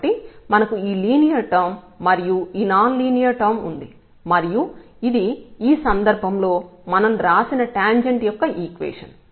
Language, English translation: Telugu, So, we have this linear term plus this non linear term and this is the equation of the tangent which we have written down in this case